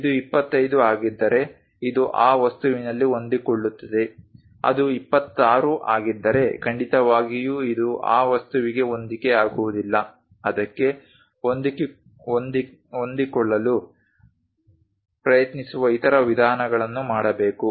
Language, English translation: Kannada, If this one is 25 it fits in that object, if it is 26 definitely it will not fit into that object one has to do other ways of trying to fit that